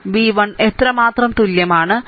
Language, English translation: Malayalam, V 1 is equal to how much